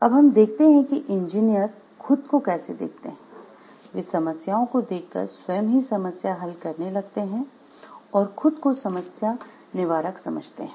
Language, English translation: Hindi, So, now we will see how engineers view themselves or problems they view themselves as problem solvers